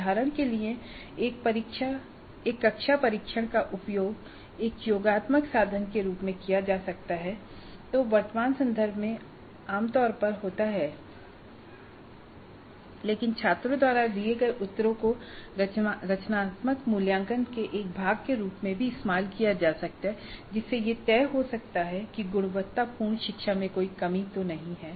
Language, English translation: Hindi, For example, a class test could be used as a summative instrument which is what happens typically in current context but it also could be used as a part of the formative assessment by trying to look at the responses given by the students to determine if there are any impediments to quality learning